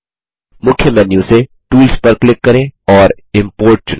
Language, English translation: Hindi, From the Main menu, click Tools and select Import